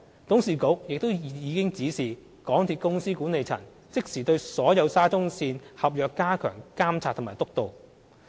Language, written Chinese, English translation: Cantonese, 董事局亦已指示港鐵公司管理層即時對所有沙中線合約加強監察及督導。, The board of directors have also directed the management of MTRCL to immediately enhance its monitoring and oversight of all contracts of the SCL project